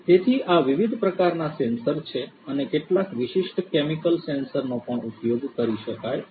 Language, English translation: Gujarati, So, these are these different types of sensors and also some you know specific chemical sensors could also be used